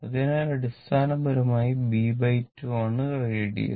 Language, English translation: Malayalam, So, it is basically b by 2 is the radius